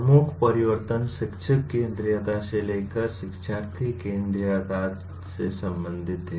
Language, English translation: Hindi, The major shift is related to from teacher centricity to learner centricity